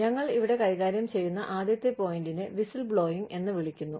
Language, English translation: Malayalam, The first point, that we will deal with here, is called whistleblowing